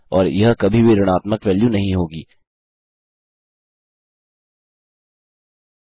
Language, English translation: Hindi, And this will never be a negative value